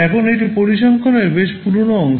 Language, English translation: Bengali, Now, this is a pretty old piece of statistics